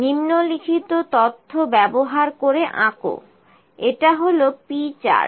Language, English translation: Bengali, Using the following data, draw it is P Chart